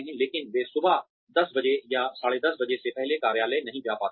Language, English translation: Hindi, But, they are not able to get to the office, before 10:00 or 10:30 in the morning